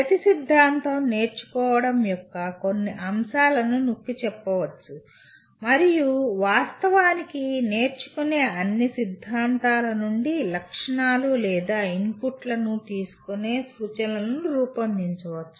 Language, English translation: Telugu, Each theory may emphasize certain aspect of learning and in fact one can design an instruction taking features or inputs from all the theories of learning